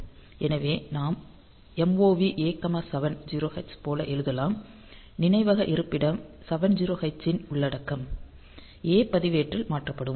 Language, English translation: Tamil, So, we can write like MOV A,70h; so, content of memory location 70h they will be coming to the A register